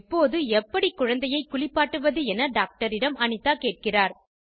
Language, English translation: Tamil, Anita then asks the doctor about when and how can she give the baby a bath